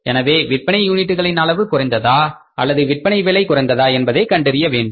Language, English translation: Tamil, So, here we have to find out whether the number of units have sales has come down or the selling price has come down